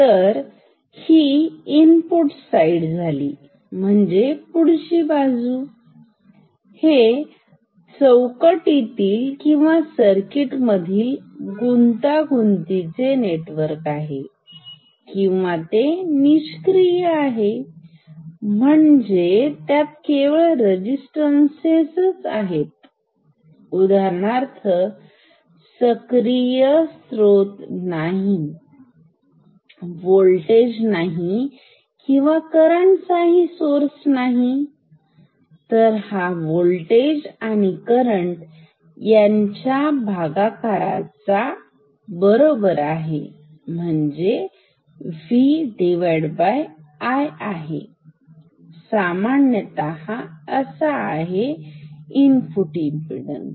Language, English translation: Marathi, So, this is the input side, this is the complicated network in a box or a circuit or and it is passive; means, it has only resistances for example, no active source, no voltage source, no current source this is equal to V by I this is in general the input impedance